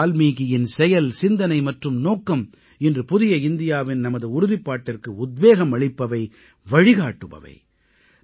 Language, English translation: Tamil, Maharishi Valmiki's conduct, thoughts and ideals are the inspiration and guiding force for our resolve for a New India